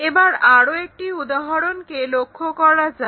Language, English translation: Bengali, Let us take one more example